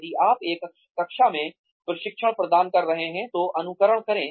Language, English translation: Hindi, Simulate, if you are imparting training in a classroom